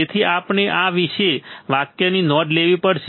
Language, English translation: Gujarati, So, you have to note this particular sentence